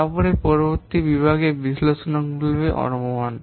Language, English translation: Bengali, Then next category is analytical estimation